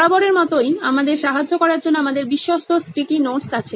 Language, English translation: Bengali, As always we have our trusted sticky notes to help us with that